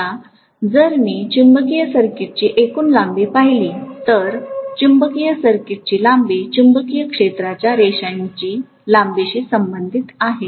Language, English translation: Marathi, Now if I look at the overall length of the magnetic circuit, the length of the magnetic circuit actually corresponds to what is the length of the magnetic field line